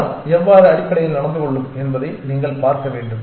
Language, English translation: Tamil, You want to see how to how the crowd would behave essentially